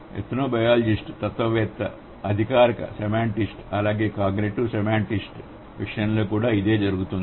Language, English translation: Telugu, Similar is the case with an ethnobiologist, a philosopher, a formal semanticist, as well as a cognitive semantics